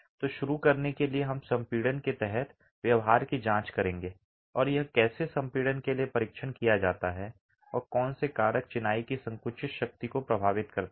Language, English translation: Hindi, So, to begin with we will examine behavior under compression and how it's tested for compression and what factors influence the compressive strength of masonry itself